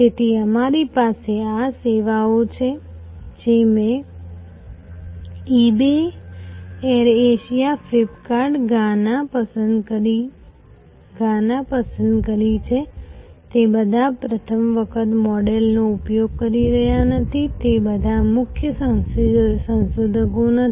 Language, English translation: Gujarati, So, we have this services I have chosen four eBay, Air Asia, Flip kart, Gaana, not all of them are using a first time model, not all of them are the lead innovators